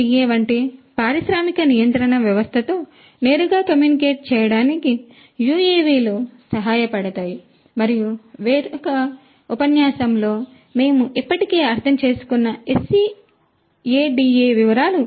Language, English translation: Telugu, UAVs can help communicate directly to an industrial control system such as a SCADA and details of SCADA we have already understood in another lecture